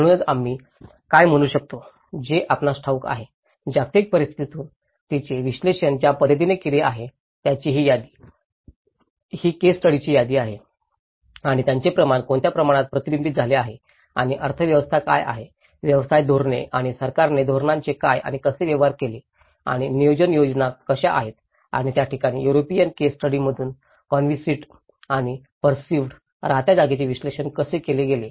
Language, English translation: Marathi, So, what we can say is you know, from the global scenario, there is, this is the list of the way she have analyzed it, this is a list of the case studies and what scale it has been reflected and what is the economy occupation strategies and what and how the government have dealt with the strategies and how the planning strategies are that is where how the conceived and the perceived, lived space have been analyzed from the European case studies